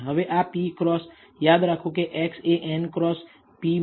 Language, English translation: Gujarati, Now, this is a p cross, remember X is a n cross p matrix